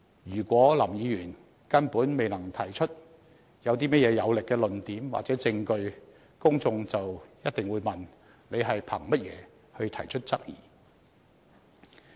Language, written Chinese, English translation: Cantonese, 如果林議員根本未能提出有力的論點或證據，公眾便一定會問：他憑甚麼提出質疑呢？, If Mr LAM cannot provide any cogent arguments or evidence the public will definitely ask What is the basis of his queries?